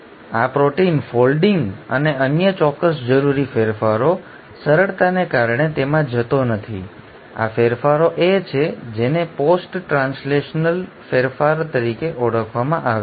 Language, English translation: Gujarati, So this is, this protein folding and specific other required modifications, I am not going into them because of simplicity; these modifications are what are called as post translational modifications